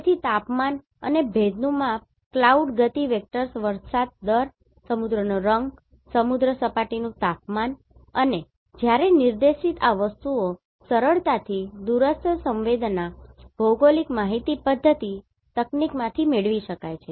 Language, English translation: Gujarati, So temperature and humidity measurement cloud motion vectors rain rate ocean colour, sea surface temperature and when directed these things can be easily derived from the remote sensing and GIS technique